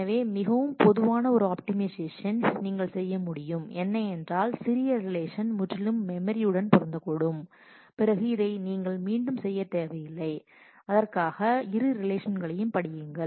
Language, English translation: Tamil, So, one optimization that is very common is what you can do is if the smaller relation can entirely fit into the memory then you do not need to do this repeated read for that both the relations